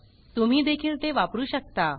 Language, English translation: Marathi, You can use that as well